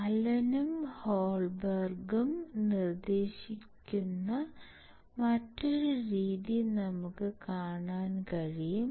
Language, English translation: Malayalam, We can see another method that is proposed by Allen and Holberg